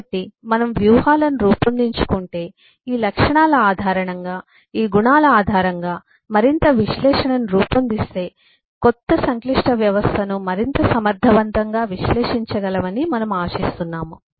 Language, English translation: Telugu, so if we build up strategies, if we build up further analysis based on these properties, based on these characteristics, then we hope to be able to eh analyze a new complex system lot more effectively